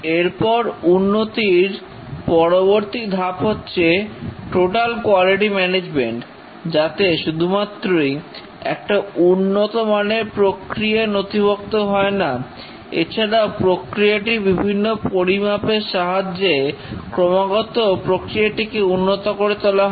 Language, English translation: Bengali, And then the next step of development is total quality management where not only have a documented process to start with a good documented process but through process measurements continuously improve the process